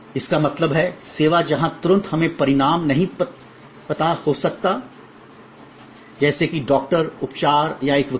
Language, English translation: Hindi, That means, service where immediately we may not know the result, like a doctors, treatment or a lawyer who is being apointed